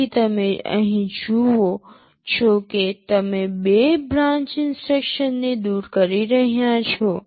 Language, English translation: Gujarati, So, you see here you are eliminating two branch instructions